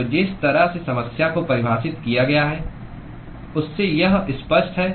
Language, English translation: Hindi, So, that is sort of obvious from the way the problem has been defined